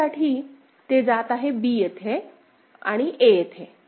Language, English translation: Marathi, For d, it is going to b over here and a over there